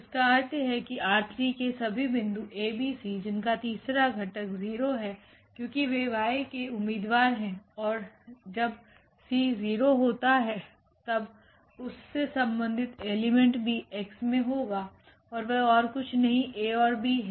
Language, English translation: Hindi, That means, all the points is a b c in R 3 whose the third component is 0 because they are the candidates of the Y and corresponding to when the c is 0 the corresponding element is also there in X and that is nothing but this a and b